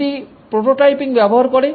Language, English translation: Bengali, It uses prototyping